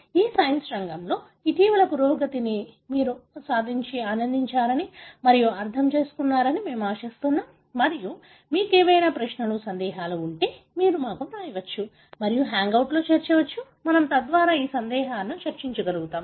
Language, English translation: Telugu, We hope you have enjoyed and understood some of the recent advancement in this field of science and if you have any query, doubts, you may write to us and also do join in the hangouts, we will be able to discuss